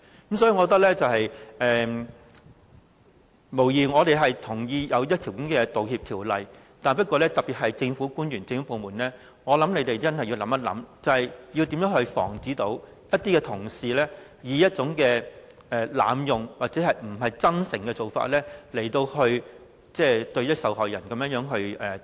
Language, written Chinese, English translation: Cantonese, 因此，我認為，無疑我們同意需要制定道歉法例，不過，特別是政府官員、政府部門，我想他們要詳細考慮，要如何防止一些同事以濫用或不真誠的做法來向受害人道歉。, So undoubtedly we agree to enact the apology law yet I believe government officials or departments particularly have to thoroughly consider ways to prevent someone from abusing the law by apologizing insincerely